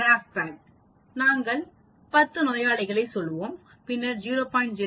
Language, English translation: Tamil, The GraphPad, then we will say 10 patients and then we want to say 0